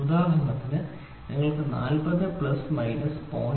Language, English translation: Malayalam, For example, if you try to take 40 plus or minus 0